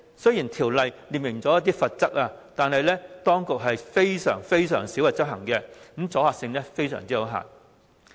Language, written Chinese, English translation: Cantonese, 雖然《條例》有列明罰則，但當局卻極少執法，阻嚇性也極為有限。, Despite the penalties stipulated in BMO the law is seldom enforced and its deterrence is very limited